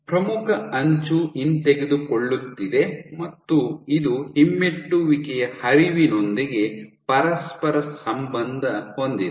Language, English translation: Kannada, So, leading edge is retracting and it is correlating with the retrograde flow